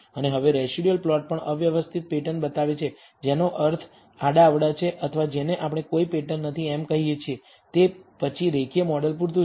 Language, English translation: Gujarati, And now the residual plot also shows a random pattern which means a random or what we call no pattern, then linear model is adequate